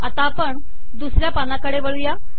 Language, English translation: Marathi, Let us go to the second page